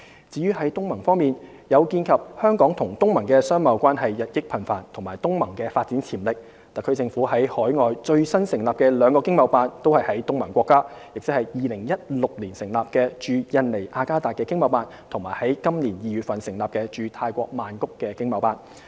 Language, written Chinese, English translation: Cantonese, 至於東盟方面，鑒於香港與東盟的商貿關係日益頻繁及東盟的發展潛力，特區政府在海外最新成立的兩個經貿辦均設於東盟國家，即2016年成立的駐印尼雅加達經貿辦和於本年2月成立的駐泰國曼谷經貿辦。, As for ASEAN in face of the increasing business presence of Hong Kong in ASEAN and the great potential of the region the HKSAR Government has newly established two ETOs in ASEAN countries namely the Jakarta ETO established in 2016 and the Bangkok ETO established in February this year